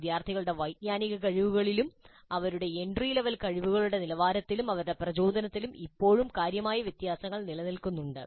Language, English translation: Malayalam, Still, significant differences do exist in the cognitive abilities of students, in the level of their entry level competencies and also in their motivations